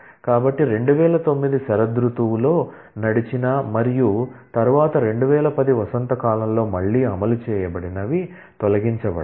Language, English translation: Telugu, So, those that, had run in the fall 2009 and then was again run in spring 2010 will get removed